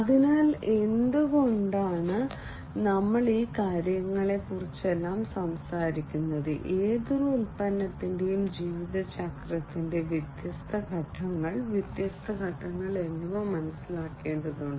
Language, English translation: Malayalam, So, why we are talking about all of these things, we need to understand the different phase, the different phases of the lifecycle of any product